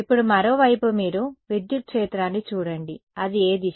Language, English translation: Telugu, Now, on the other hand you look at the electric field what way is it